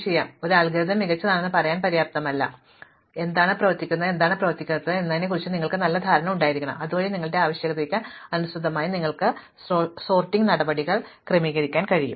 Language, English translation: Malayalam, So, it is not enough to say that one algorithm is the best, you need to have a good idea about what works and what does not works, so that you can tailor your sorting procedure to suit your requirements